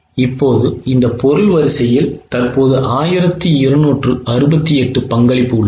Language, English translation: Tamil, Now, this product line A currently has a contribution of 1 268